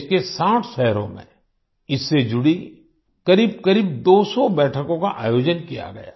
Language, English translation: Hindi, About 200 meetings related to this were organized in 60 cities across the country